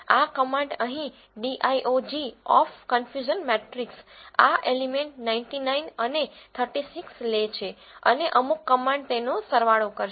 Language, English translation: Gujarati, This command here diag of confusion matrix take this element 99 and 36 and the some command will sum them up